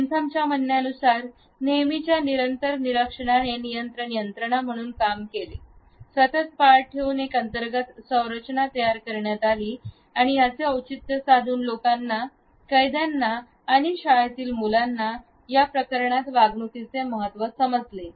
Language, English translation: Marathi, The constant observation according to Bentham acted as a control mechanism; a consciousness of constant surveillance was internalized, which enabled the people, the prisoners or the school children for that matter to understand the propriety of behaviour